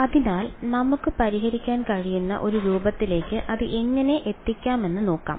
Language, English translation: Malayalam, So, let us see how we can get it into the a form that we can solve right